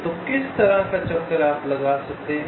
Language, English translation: Hindi, so what can be detour you can make